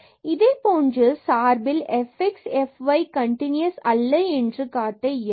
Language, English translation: Tamil, So, we can show also that f y is not continuous